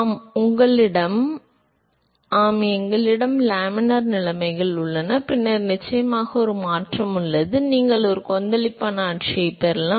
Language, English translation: Tamil, Yes we have laminar conditions here, and then of course, have a transition, and then you can have a turbulent regime